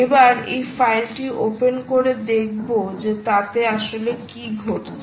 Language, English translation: Bengali, so lets open that file and see what exactly happens in that file